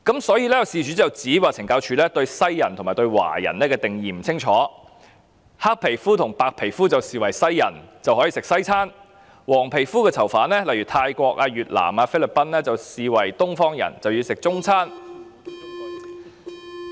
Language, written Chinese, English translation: Cantonese, 所以，事主便指懲教署對西人和華人的定義不清晰，黑皮膚和白皮膚的便視為西人，可以吃西餐，黃皮膚的囚犯，例如泰國人、越南人和菲律賓人，則被視為東方人，因而要吃中餐。, As such the applicant alleged that CSDs definitions of Westerners and Chinese are unclear . People with black skin and those with white skin are considered Westerners who can have western meals whereas the yellow - skinned prisoners such as Thais Vietnamese and Filipinos are considered Easterners and therefore have to take Chinese meals